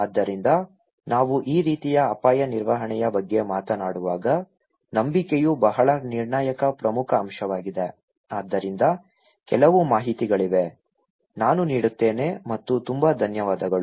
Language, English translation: Kannada, So, trust is a very critical important point when we are talking about this kind of risk management so, there are some informations, I giving and thank you very much